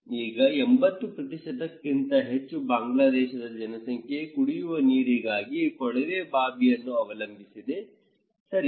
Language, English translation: Kannada, Now, more than 80% Bangladeshi population depends on tube well for drinking water, okay